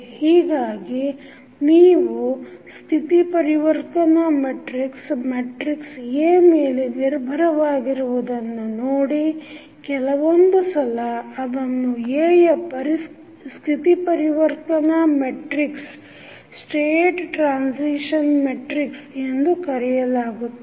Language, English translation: Kannada, So, if you see this the state transition matrix is depending upon the matrix A that is why sometimes it is referred to as the state transition matrix of A